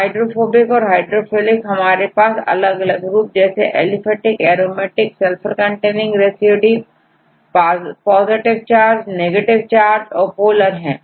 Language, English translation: Hindi, Hydrophobic and hydrophilic and hydrophobic we have different groups like aliphatic, aromatic or Sulphur containing residues right and the hydrophilic, positive charge